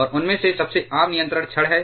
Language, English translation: Hindi, And the most common one of them is the control rods